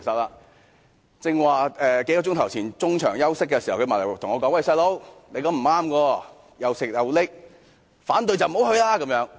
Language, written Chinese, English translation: Cantonese, 他在幾小時前中場休息時對我說："'細佬'，你這樣是不對的，'又食又拎'，反對就不要去乘坐高鐵。, During the intermission a few hours ago he said to me Man it is not right for you to do so . You are gaining double benefits . If you are against XRL you should not travel by it